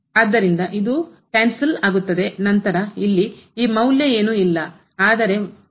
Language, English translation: Kannada, So, this gets cancelled and then this value here is nothing, but 3